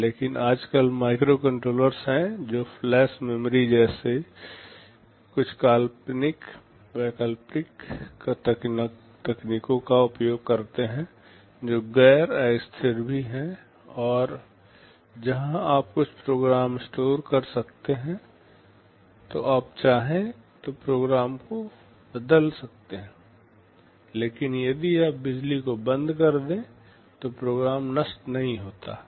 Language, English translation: Hindi, But nowadays there are microcontrollers which use some alternate technologies like flash memory, which is also non volatile where you can store some program, you could also change the program if you want, but if you switch off the power the program does not get destroyed